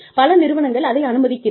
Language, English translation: Tamil, So, many organizations, allow this